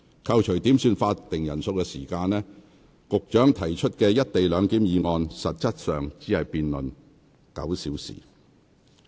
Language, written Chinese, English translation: Cantonese, 扣除點算法定人數的時間，局長提出的"一地兩檢"議案實質只辯論了不足9小時。, Excluding the time spent on headcounts the actual debate time on the motion on the co - location arrangement moved by the Secretary was less than nine hours